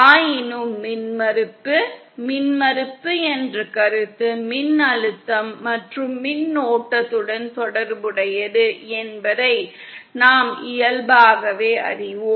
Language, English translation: Tamil, Yet we inherently know that, impedance, the concept of impedance is related to voltage and current